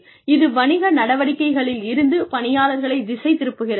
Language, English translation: Tamil, It distracts people, from business activities